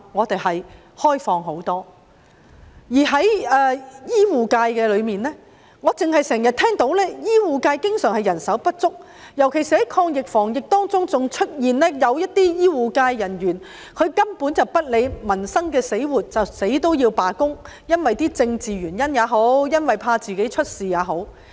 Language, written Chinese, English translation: Cantonese, 在醫護界中，我只經常聽到醫護界人手不足；在抗疫防疫期間，更有醫護人員根本不理民生死活，因為政治原因也好，怕自己出事也好，堅持罷工。, For the healthcare sector I only often hear about the shortage of healthcare manpower . During the fight against the epidemic some healthcare personnel even disregarded peoples lives and livelihood as they insisted ongoing on strike for political reasons or for fear of getting into trouble